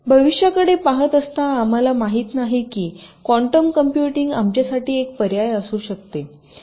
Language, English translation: Marathi, looking into the feature, we really do not can quantum computing be an option for us